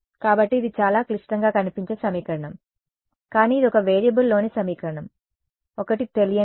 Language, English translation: Telugu, So, this is a very complicated looking equation, but it is an equation in one variable; one unknown not one variable one unknown x